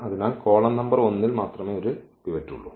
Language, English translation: Malayalam, So, there is only one pivot that is in the column number 1